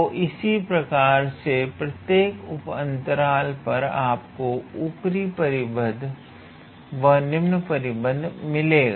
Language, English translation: Hindi, So, similarly on every one of these sub intervals, you will get an upper bound and then you will get a lower bound